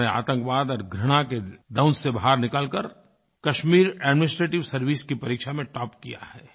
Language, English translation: Hindi, He actually extricated himself from the sting of terrorism and hatred and topped in the Kashmir Administrative Examination